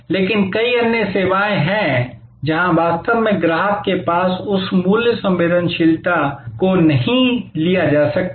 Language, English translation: Hindi, But, there are many other services, where actually customer may not have that price sensitivity